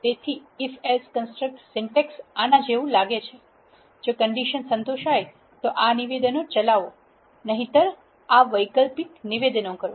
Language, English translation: Gujarati, So, the if else construct syntax looks like this, if the condition is satisfied perform this statements else perform this alternate statements